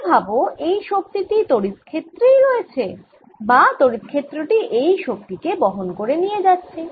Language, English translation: Bengali, so now i am thinking of this energy being sitting in this electric field or this electric field carrying this energy